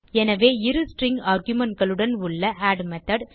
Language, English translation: Tamil, So the add method with two string arguments, appends the string